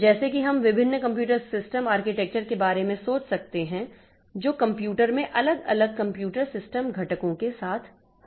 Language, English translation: Hindi, So, like that we can think about different computer system architectures, different computer system components that we have in a in the computer